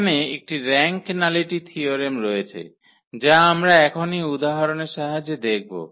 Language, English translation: Bengali, There is a rank nullity theorem which we will just observe with the help of the example